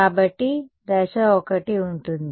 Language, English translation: Telugu, So, step 1 would be